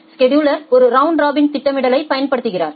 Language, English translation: Tamil, The scheduler is simply applying a round robin scheduling